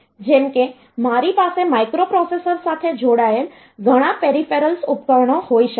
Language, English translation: Gujarati, Like I can have a number of peripheral devices connected to the microprocessor